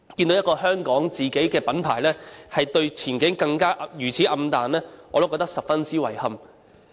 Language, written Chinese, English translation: Cantonese, 一個香港的自家的品牌，對前景也如此暗淡，我實在感到十分遺憾。, It is regrettable that even such a local brand - name manufacturer finds the prospects for Hong Kong so very grim